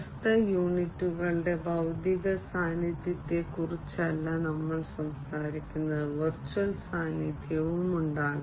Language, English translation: Malayalam, So, nowadays we are not talking about physical presence of the different units, there could be virtual presence also